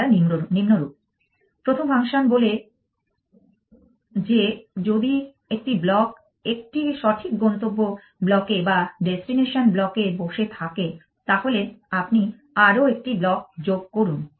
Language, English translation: Bengali, They are as follows the first function says that if a block is sitting on a correct destination block